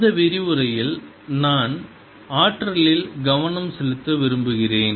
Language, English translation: Tamil, in this lecture i want to focus on the energy